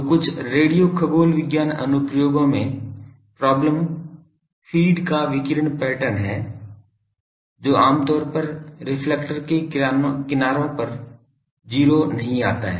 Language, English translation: Hindi, So, in some radio astronomy applications the problem is the radiation pattern of the feed that is generally do not go to 0 at the edges of the reflector